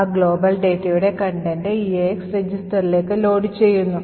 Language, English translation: Malayalam, Now, we load the contents of that global data into EAX register